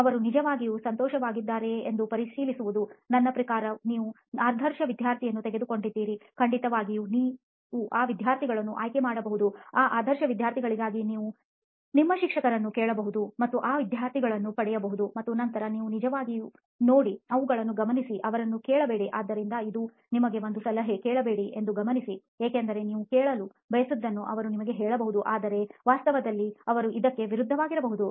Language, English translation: Kannada, It is to check whether they are really happy, I mean you have taken an ideal student, of course you can pick those students, those ideal students you can ask your teacher and get those ideal students and then see if that is really the case, observe them, not ask them, so this is my tip to you is: observe not ask because they may tell you something which is what you want to hear but in reality they may be doing the opposite